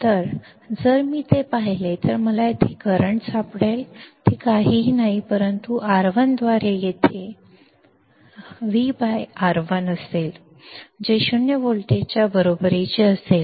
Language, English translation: Marathi, Now, if I see that then what I would find that is current here is nothing but V by R1 here will be V by R 1, that equals to zero volts